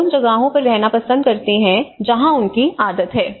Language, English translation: Hindi, People tend to live in the places where they are habituated to